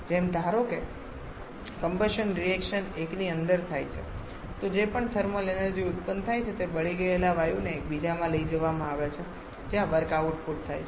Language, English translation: Gujarati, Like suppose the combustion reaction takes place inside one so whatever thermal energy is generated the burnt gaseous that is taken to another one where the work output is done